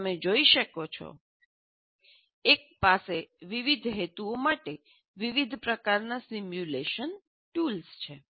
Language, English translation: Gujarati, So as you can see, one can have a very large variety of simulation tools for different purposes